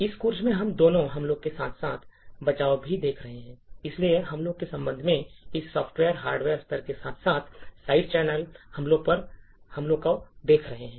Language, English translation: Hindi, both attacks as well as defences, so with respect to the attacks we have been looking at attacks at the software, hardware level as well as side channel attacks